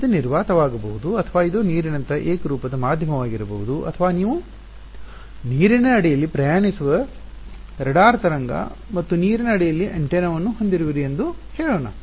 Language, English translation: Kannada, It may vacuum or it may be some homogeneous medium like water or something let us say you have a radar wave travelling under water and antenna under water